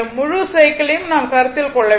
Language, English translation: Tamil, We have to consider from the whole cycle